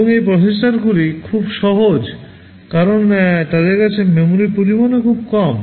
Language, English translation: Bengali, And because these processors are very simple, the amount of memory they have is also pretty small